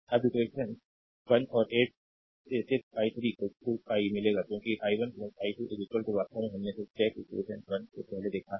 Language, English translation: Hindi, Now from equation 1 and 8 just you will get i 3 is equal to i, because i 1 plus i 2 is equal to actually i we have seen before just check equation 1